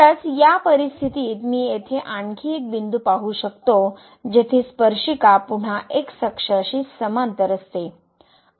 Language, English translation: Marathi, Indeed in this situation there are more points one I can see here where tangent is again parallel to the